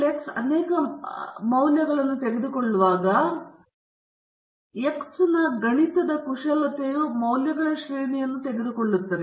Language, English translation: Kannada, When x can take multiple values a mathematical manipulation of x can also take a range of values